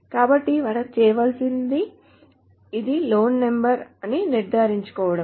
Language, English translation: Telugu, So what we need to do is to ensure that this is the same loan number